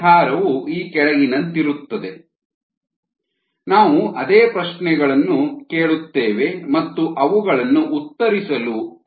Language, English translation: Kannada, the solution is thus follows: we will ask our same questions and tried to answer them